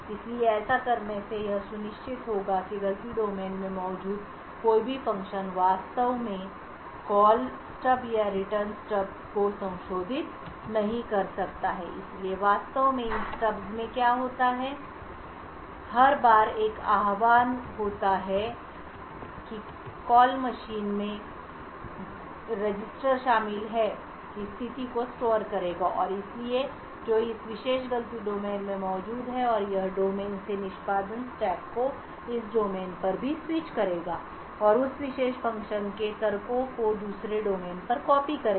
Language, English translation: Hindi, So by doing this one would ensure that any function present in the fault domain cannot actually modify the Call Stub and the Return Stub, so what actually happens in these stubs is that every time there is an invocation the call stuff would store the state of the machine comprising of the registers and so on which present in this particular fault domain and it would also switch the execution stack from this domain to this domain and copy the arguments for that particular function to the other domain